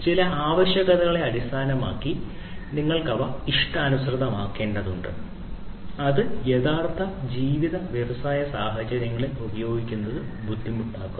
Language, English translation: Malayalam, So, you have to customize them based on certain requirements and that makes it you know difficult for use in real life industry scenarios